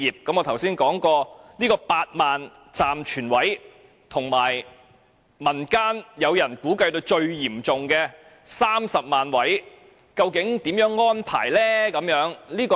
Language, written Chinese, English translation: Cantonese, 我剛才說過當局有8萬個暫存位，但民間估計在最嚴重的情況下需要30萬個位，究竟如何安排？, I said earlier that the authorities would provide 80 000 temporary niches but community groups estimated that 300 000 would be needed in the worst - case scenario . What arrangements will the authorities make to deal with the situation?